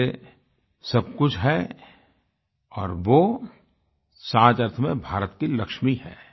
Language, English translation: Hindi, She is the Lakshmi of India in every sense of the term